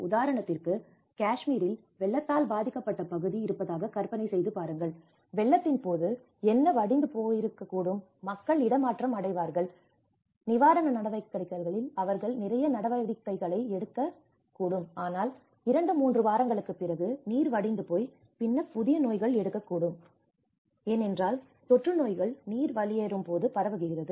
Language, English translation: Tamil, A new diseases will be born, imagine there is a flood affected area in Kashmir, what happened was during the floods, people were migrated, and they have taken a lot of measures in the relief operations but after two, three weeks when the whole water get drained up, then the new set of diseases came when because of the epidemic and endemic diseases spread out when the water drained up